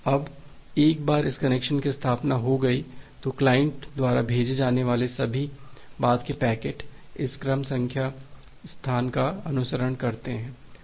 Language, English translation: Hindi, Now once this connection establishment is being done, then all the subsequent packets that is being sent by the client it follows this sequence number space